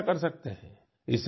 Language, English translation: Hindi, You too can do that